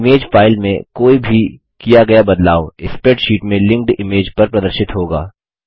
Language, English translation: Hindi, Any changes made to the image file, Will be reflected in the linked image In the spreadsheet